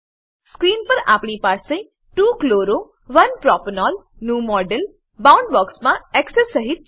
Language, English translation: Gujarati, On the screen we have the model of 2 chloro 1 propanol in Boundbox with Axes